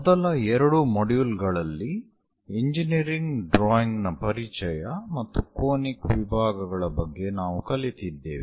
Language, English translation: Kannada, In the first two modules, we have learned about introduction to engineering drawings and conic sections